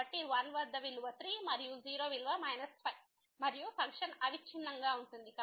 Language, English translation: Telugu, So, at 1 the value is 3 and the 0 the value is minus 5 and function is continuous